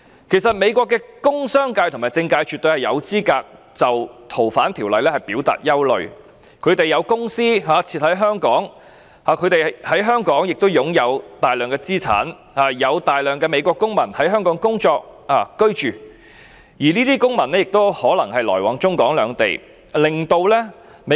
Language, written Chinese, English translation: Cantonese, 其實，美國的工商界和政界絕對有資格就該條例的修訂表達憂慮，他們有公司設於香港，在香港亦擁有大量資產，有大量的美國公民在香港工作、居住，而這些公民也可能來往中港兩地。, In fact the United States industrial business and political sectors absolutely have a legitimate right to express their worries towards the legislative amendment . They have companies in Hong Kong and a large quantity of assets here . A large number of United States citizens are working and living in Hong Kong and they may need to travel between Hong Kong and the Mainland